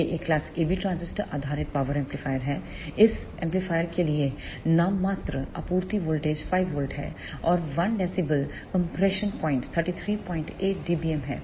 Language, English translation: Hindi, This is a class AB transistor based power amplifier, the nominal supply voltage for this amplifier is 5 volt and the 1 dB compression point is 33